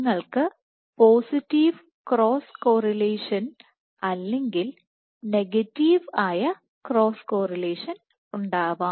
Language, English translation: Malayalam, So, you can have cross correlation of positive or cross correlation as negative